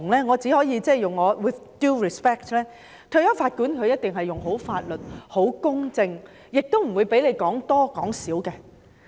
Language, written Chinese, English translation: Cantonese, 我只可 with due respect 地說，退休法官一定運用法律、秉持公正，不會讓人說多或說少。, I can only say with due respect that a retired judge would definitely apply the law and administer justice properly . He would not let the relevant parties say too much or too less